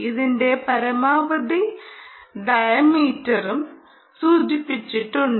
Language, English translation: Malayalam, maximum ah diameter of this is also mentioned